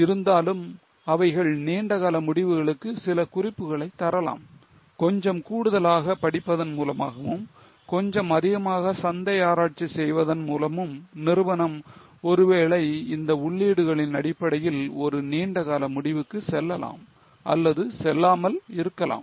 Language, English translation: Tamil, However, they may give you some hints for long term decision by making some extra study, by making some extra market research, company may or may not go for a long term decision based on these inputs